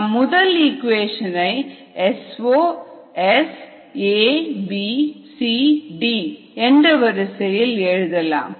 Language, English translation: Tamil, we will write it in this order: s zero, s a, b, c, d are equation